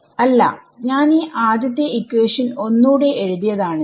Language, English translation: Malayalam, No I have just rewritten this first equation